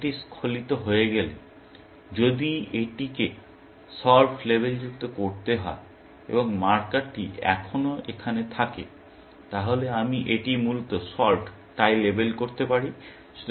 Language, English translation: Bengali, Once this gets slipped, if this has to get labeled solved, and the marker was still here, then I can label this solved and so on, essentially